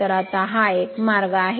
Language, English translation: Marathi, So, now this this is one way